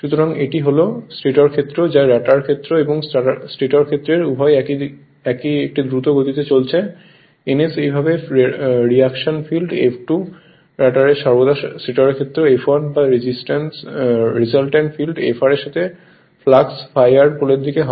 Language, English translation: Bengali, So, that is same of the stator field that is rotor field and stator field both are moving at a same speed ns thus the reaction field F2 of the rotor is always stationery with respect to the stator field F1 or the resultant field Fr with respe[ct] with flux phi r per pole right